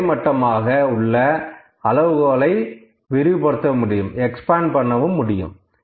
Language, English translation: Tamil, I can widen the horizontal scale here